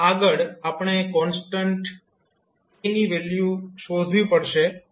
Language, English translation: Gujarati, Now, next we have to find the value of constant a